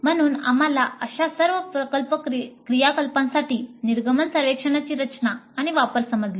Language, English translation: Marathi, So we understood the design and use of exit surveys for all such project activities